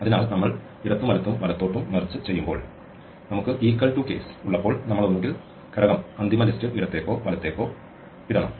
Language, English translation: Malayalam, So, when we are merging left and right when we have the equal to case we have to either put the element from left into the final list or right